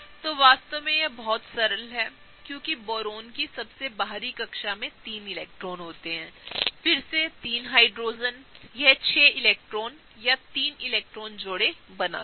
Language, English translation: Hindi, So, this is really really simple right because Boron is going to have 3 electrons in the outermost orbital, and then the 3 from the Hydrogen, so total it gets to 6 electrons that is 3 electron pairs, right